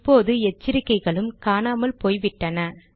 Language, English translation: Tamil, and we can also see that the warnings are now gone